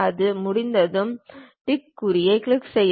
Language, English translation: Tamil, Once it is done click the tick mark